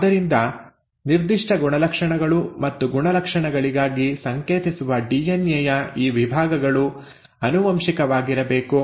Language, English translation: Kannada, So these sections of DNA which are coding for specific traits and the traits have to be heritable